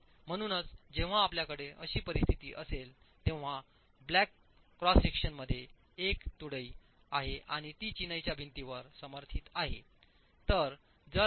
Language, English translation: Marathi, So, when you have this sort of a situation, the black cross section that you see there is a beam that is coming and resting in the masonry wall